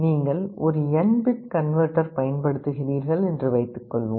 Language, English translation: Tamil, Suppose you are using an n bit converter